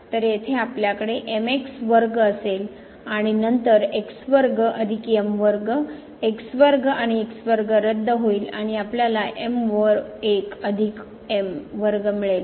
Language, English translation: Marathi, So, here we will have square and then square plus square square and square will get cancelled and we will get over plus square